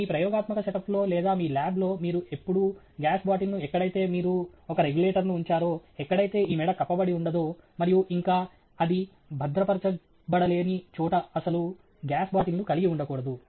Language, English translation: Telugu, You must never have a gas bottle in your experimental setup or in your lab, where you have put a regulator, where this neck is not covered, and you still donÕt have it constrained or restrained or secured